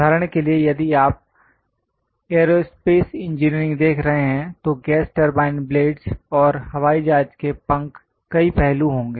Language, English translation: Hindi, For example, if you are looking at aerospace engineering, there will be gas turbine blades, and aeroplane's wings, many aspects